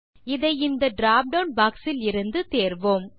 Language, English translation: Tamil, We will choose it from the drop down box here